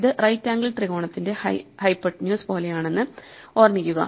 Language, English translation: Malayalam, So, remember this is like a hypotenuse of a right angled triangle